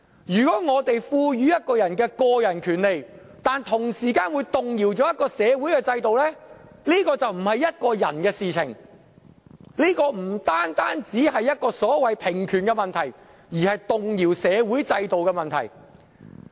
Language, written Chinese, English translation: Cantonese, 如果在賦予一個人個人權利時，會同時動搖一個社會制度的話，這就不是個人的事，也不單是所謂平權問題，而是動搖社會制度的問題。, If the granting of individual rights to a person will upset the social system it will not merely be an individual issue nor will it merely be a matter of the so - called equality of rights for it is actually a matter upsetting the social system